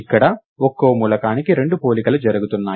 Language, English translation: Telugu, This is two comparisons per element